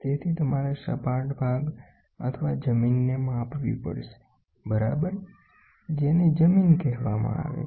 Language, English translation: Gujarati, So, you have to measure the flat portion the flat portion or the land, ok, which is called as a land